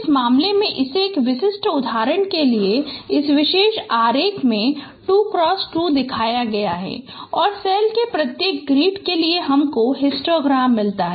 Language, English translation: Hindi, So in this case it has been shown 2 cross 2 in this particular diagram for typical examples and for each grid of cells you get the histogram